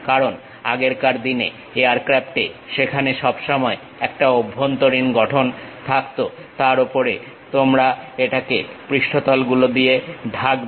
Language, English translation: Bengali, Because, there always be internal, the olden days aircraft always be having internal structure; on that you will be covering it with surfaces